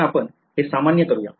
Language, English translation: Marathi, Now let us make it general